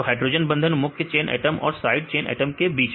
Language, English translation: Hindi, So, hydrogen bonds between main chain atoms and side chain atoms